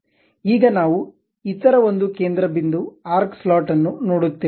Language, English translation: Kannada, Now, we will look at other one center point arc slot